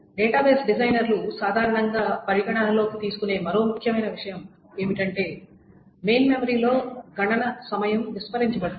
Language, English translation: Telugu, One more important thing that the database design has generally taken to account is that the time to compute in the main memory is ignored